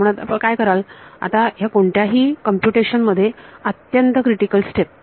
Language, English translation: Marathi, So, what would you do now very critical step in a any computation